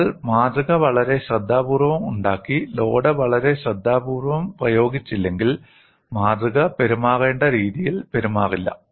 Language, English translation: Malayalam, Unless you have made the specimen very, very carefully and also applied the load very carefully, the specimen will not behave the way it should behave